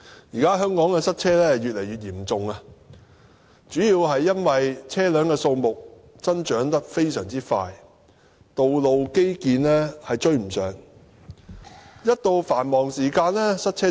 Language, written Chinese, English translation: Cantonese, 現在香港塞車問題越來越嚴重，主要因為車輛數目增長迅速、道路基建追不上，在繁忙時間嚴重塞車。, Traffic jams in Hong Kong have been worsening mainly because of the rapid increase in vehicles while transport infrastructure cannot catch up with the pace which leads to serious congestion during rush hours